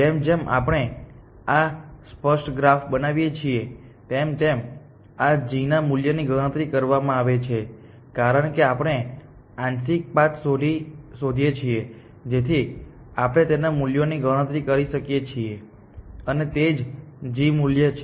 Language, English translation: Gujarati, As we build this explicit graph this g value are computed, as we find partial pots paths we can compute their values and that is the g value